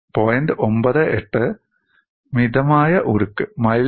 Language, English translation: Malayalam, 98, mild steel about 1